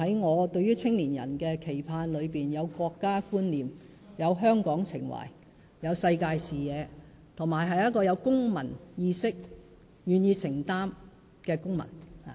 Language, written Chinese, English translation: Cantonese, 我對於青年人的期盼，是希望他們成為有國家觀念、有香港情懷、有世界視野，以及有公民意識及願意承擔的公民。, I hope that young people can become citizens with a sense of national identity and an affection for Hong Kong and that they can have a global perspective a sense of civic awareness and commitment to society